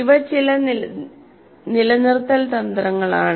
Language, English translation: Malayalam, These are some retention strategies